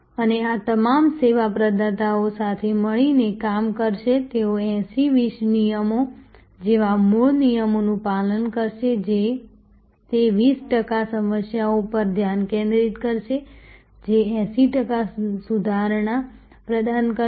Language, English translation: Gujarati, And all these service providers will be working together they will follow the original you know rules like 80, 20 rules focusing on those 20 percent problems, which will provide the 80 percent improvement